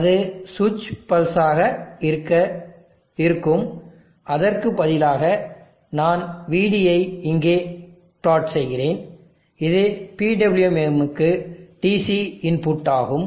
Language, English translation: Tamil, That would be switch pulses; instead I will plot VD here which is the DC input to the PWM